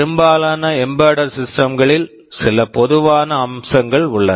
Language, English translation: Tamil, There are some common features that are present in most embedded systems, let us look at some of them